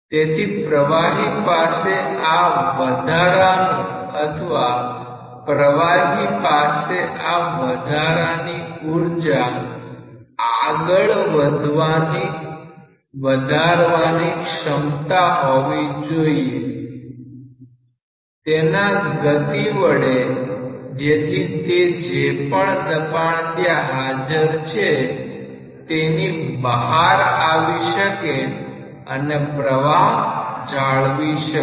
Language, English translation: Gujarati, So, the fluid must possess this additional or the fluid must be capable of transferring or transmitting this additional energy through its motion so that it can overcome whatever pressure is there and still it can maintain the flow